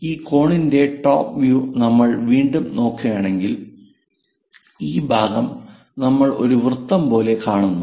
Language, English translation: Malayalam, So, if we are looking from top view for this cone again, this part we see it like a circle